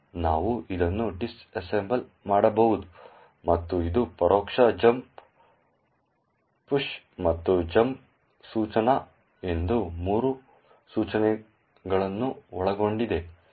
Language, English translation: Kannada, We can disassemble this and see that it comprises of three instructions an indirect jump, a push and a jump instruction